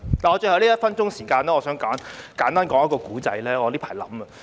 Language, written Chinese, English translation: Cantonese, 在最後1分鐘時間，我想簡單說一個故事，是我最近想到的。, With one minute left I would like to tell a simple story which has recently come to my mind